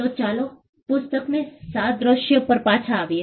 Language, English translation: Gujarati, So, let us come back to the book analogy